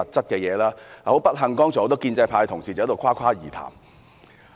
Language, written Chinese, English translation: Cantonese, 但很不幸，剛才很多建制派同事只在誇誇而談。, Yet regrettably just now many Honourable colleagues of the pro - establishment camp were merely making flowery talk